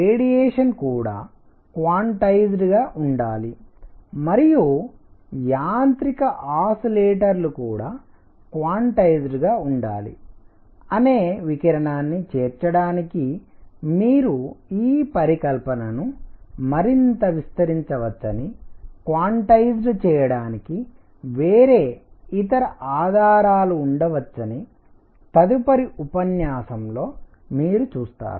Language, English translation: Telugu, What other evidences for quantization could be there that we will see in the next lecture that you can extend this hypothesis further to include radiation that radiation should also be quantized and also a mechanical oscillators should be quantized